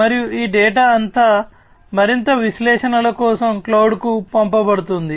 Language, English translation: Telugu, And all these data will be sent to the cloud for further analytics and so on